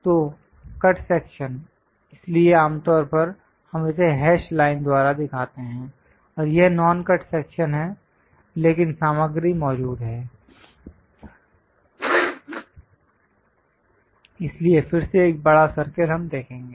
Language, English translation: Hindi, So, cut section, so usually, we show it by hash line, and this is non cut section; but material is present, so again a larger circle we will see